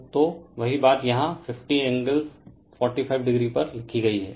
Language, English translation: Hindi, So, same thing is written here 50 angle 45 degree